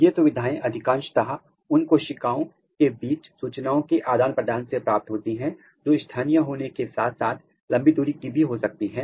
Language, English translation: Hindi, These features are attained in large mostly by exchange of the information between the cells which can be local as well as long range